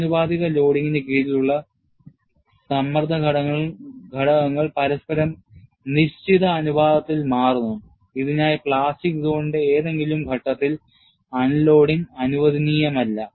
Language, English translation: Malayalam, And under proportional loading, stress components change in fixed proportion to one another, for which no unloading is permitted at any point of the plastic zone